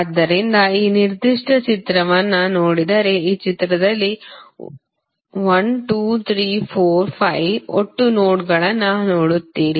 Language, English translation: Kannada, So, if you see this particular figure, in this figure you will see 1, 2, 3, 4, 5 are the total nodes